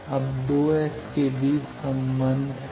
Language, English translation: Hindi, Now, what is the relation between the 2 S